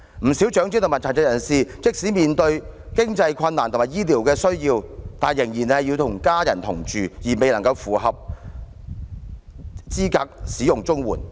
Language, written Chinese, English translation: Cantonese, 不少長者和殘疾人士即使面對經濟困難和醫療需要，但仍然要與家人同住，而未能符合申領綜援的資格。, Many elderly persons or persons with disabilities facing financial difficulties or health care needs still have to live with their families yet they will become ineligible to apply for CSSA